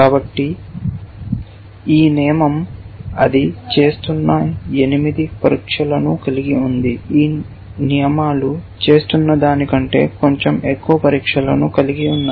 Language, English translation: Telugu, this rule has eight tests that it is doing, this rules has a little bit more tests than it is doing